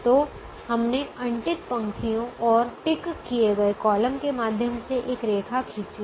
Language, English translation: Hindi, so we have drawn a lines through unticked rows and ticked columns